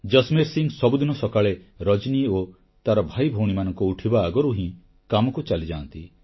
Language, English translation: Odia, Early every morning, Jasmer Singh used to leave for work before Rajani and her siblings woke up